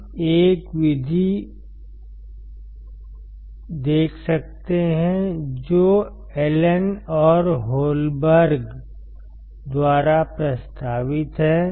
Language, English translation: Hindi, We can see another method that is proposed by Allen and Holberg